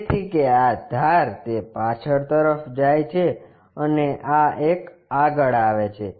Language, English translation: Gujarati, So, that this edge goes it back and this one comes front